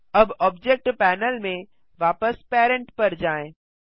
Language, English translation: Hindi, Now go back to Parent in the Object Panel